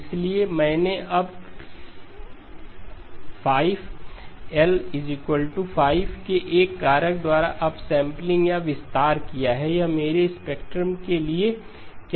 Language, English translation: Hindi, So I have now done the upsampling or the expansion by a factor of 5, L equal to 5, what does it do to my spectrum